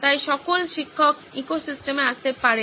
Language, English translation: Bengali, So all the teachers can also sort of plug into the ecosystem